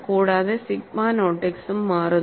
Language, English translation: Malayalam, And sigma naught x also changes